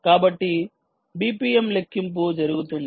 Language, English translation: Telugu, so the b p m calculation is done here